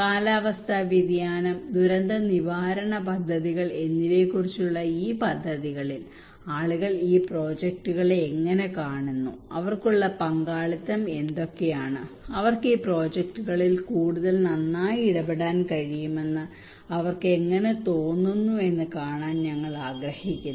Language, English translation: Malayalam, Now we want to see that in these projects on all this climate change and disaster risk management projects, how people see these projects, what are the involvement they have and how they feel that they can better involve into these projects